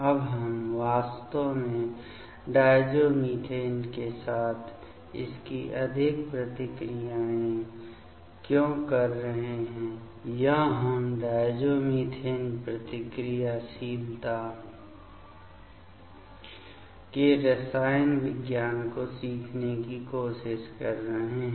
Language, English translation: Hindi, Now, why we are actually doing so many reactions with the diazomethane or we are trying to learn the chemistry of diazomethane reactivity